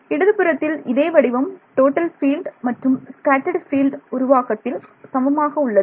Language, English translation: Tamil, The same form the left hand side is the same in total field formula in total and scattered field formulation